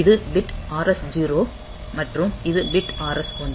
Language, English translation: Tamil, is the bit R S 0 and this is the bit R S 1